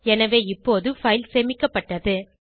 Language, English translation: Tamil, So the file is saved now